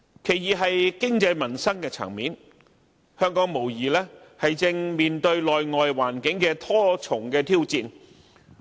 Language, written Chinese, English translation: Cantonese, 其二，是經濟民生層面，香港無疑正面對內外環境的多重挑戰。, Second economically and in respect of peoples livelihood Hong Kong is definitely facing many internal and external challenges